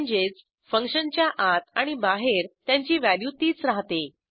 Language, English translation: Marathi, * This means, their values remains the same inside and outside the function